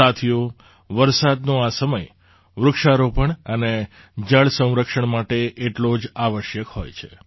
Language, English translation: Gujarati, Friends, this phase of rain is equally important for 'tree plantation' and 'water conservation'